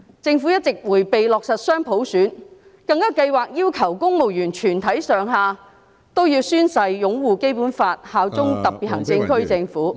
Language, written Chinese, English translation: Cantonese, 政府一直迴避落實"雙普選"，更計劃要求公務員全體上下均要宣誓擁護《基本法》，效忠特別行政區政府......, The Government has all along evaded the issue of implementing dual universal suffrage and it is even planning to require all civil servants to swear to uphold the Basic Law and swear allegiance to the Hong Kong SAR